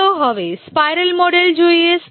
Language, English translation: Gujarati, Now let's look at the spiral model